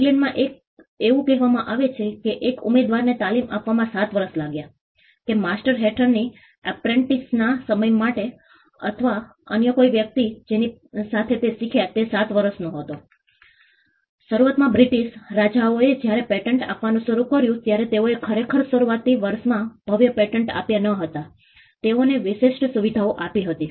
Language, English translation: Gujarati, In England it is said that it took 7 years to train an apprentice; that for time of an apprentice under master or a person with whom he learnt was 7 years; initially the British kings when they started granting patents and they we did not actually grand patents in the initial years they granted exclusive privileges